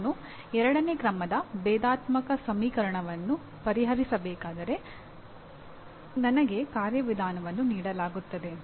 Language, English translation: Kannada, It also includes besides following a procedure like I have to solve a second order differential equation, I am given a procedure